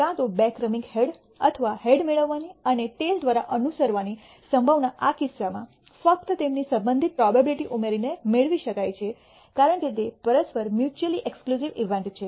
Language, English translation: Gujarati, The probability of either receiving two successive heads or a head and followed by a tail can be obtained in this case by simply adding their respective probabilities because they are mutually ex clusive events